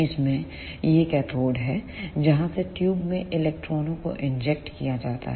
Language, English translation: Hindi, In this, this is the cathode from where electrons are injected in the tube